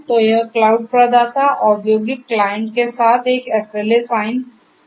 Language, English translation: Hindi, So, this cloud provider is going to sign up an SLA with the industrial client; with the industrial client